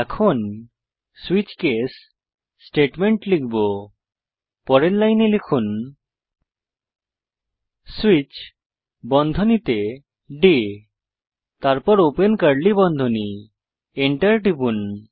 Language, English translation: Bengali, Now, we will type the switch case statement.So next line type switch within brackets day , then open curly brackets..